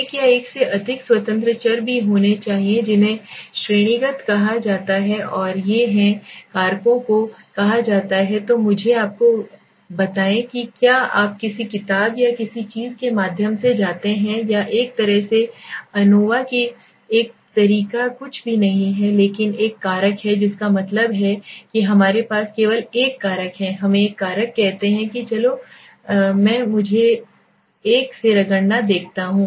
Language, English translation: Hindi, There must also be one or more independent variables that are called categorical and these are called the factors so let me tell you if you go through any book or something you see one factor or one way ANOVAs one way is nothing but one factor that means we have only one factor one let us say one factor that is let s say I want to see let me rub of this one